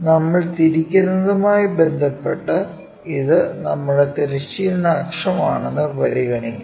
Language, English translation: Malayalam, Let us consider this is our horizontal axis with respect to that we have rotated